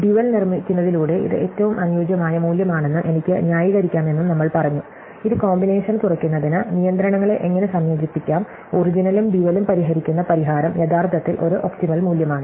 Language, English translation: Malayalam, We also said that we can justify that this is the optimum value by constructing the dual, which has how to combine the constraints together to minimize the combination and the solution which solves both the original and the dual is actually an optimum value